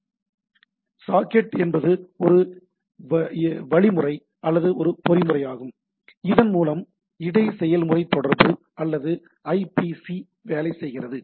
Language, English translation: Tamil, So, socket is a, what we can say it is a methodology or a mechanism by which inter process communication or IPC works, right